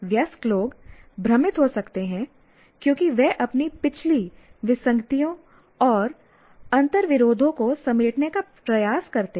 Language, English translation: Hindi, Now, adults may become confused as they attempt to reconcile their own past inconsistencies and contradictions